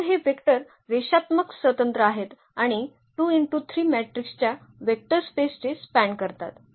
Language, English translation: Marathi, So, these vectors are linearly independent and span the vector space of 2 by 3 matrices